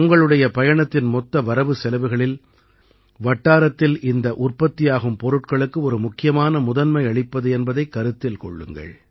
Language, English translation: Tamil, In the overall budget of your travel itinerary, do include purchasing local products as an important priority